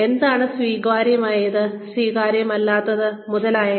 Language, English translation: Malayalam, What is acceptable, what is not acceptable, etcetera, etcetera